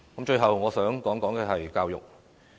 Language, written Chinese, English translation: Cantonese, 最後，我想談談教育。, Finally I would like to talk about education